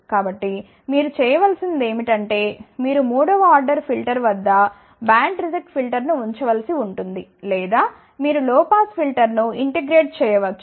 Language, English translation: Telugu, So, in that particular case what you need to do, you may have to put a band reject filter at third order filter or maybe you can integrate a low pass filter